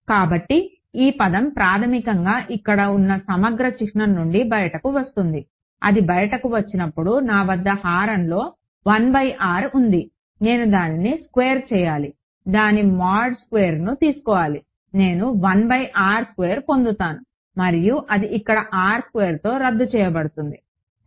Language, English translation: Telugu, So, this term basically will approximately come out of the integral sign over here; when it comes out I have a 1 by r in the denominator I have to square it take its mod squared I get a 1 by r square, and that cancels of with this r squared over here ok